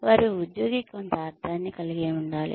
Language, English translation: Telugu, They should have some meaning for the employee